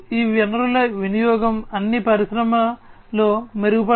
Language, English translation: Telugu, The utilization of these resources are all going to be improved in the Industry 4